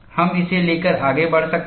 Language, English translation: Hindi, We can carry on with it